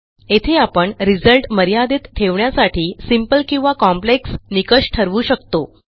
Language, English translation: Marathi, This is where we can limit the result set to a simple or complex set of criteria